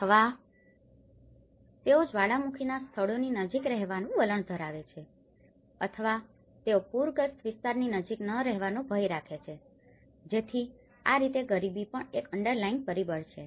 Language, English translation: Gujarati, Or they tend to stay near volcanic places or they tend to fear live near the flood prone areas, so that is how the poverty is also one of the underlying factor